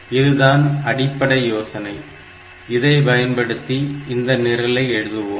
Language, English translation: Tamil, So, this is the basic idea that we will be using while writing the program